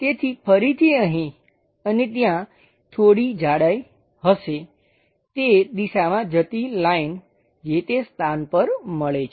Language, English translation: Gujarati, So, there supposed to be again some thickness here and some thickness there a line supposed to go in that direction which meets at that location